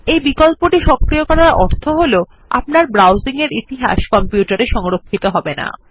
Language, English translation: Bengali, Enabling this option means that the history of your browsing will be not be retained in your computer